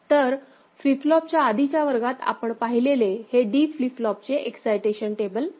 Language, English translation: Marathi, Since it is D flip flop so, D flip flop excitation table will be put to use